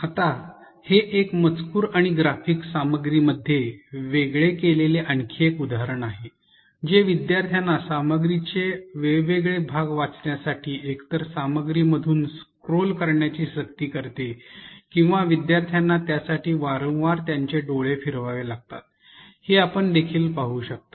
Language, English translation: Marathi, Here is another example where the text and graphics have been separated in the content, this forces the learner to either scroll across the through the content in order to access different parts of the content or you could also see that the learner has to move their eyes repeatedly to access different parts of the content